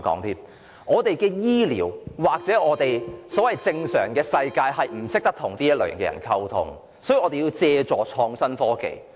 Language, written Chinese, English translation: Cantonese, 香港醫療世界或所謂"正常世界"的人不懂得如何與他們溝通，所以要借助創新科技。, People in the health care circle or those whom we call in the normal world in Hong Kong do not know how to communicate with them so they have to count on innovative technology